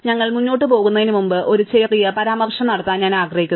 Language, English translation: Malayalam, Before we move ahead, I just want to make one small remark